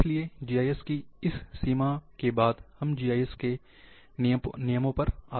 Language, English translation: Hindi, So, after this limitations of GIS, we come to the rules of GIS